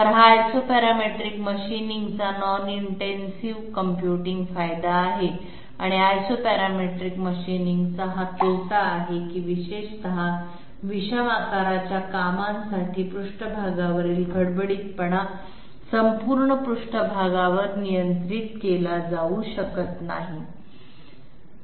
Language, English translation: Marathi, So this is the advantage of Isoparametric machining non intensive computationally and this is the disadvantage of Isoparametric machining that surface roughness cannot be controlled all over the surface especially for odd shaped jobs